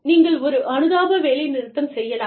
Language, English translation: Tamil, You could have a, sympathy strike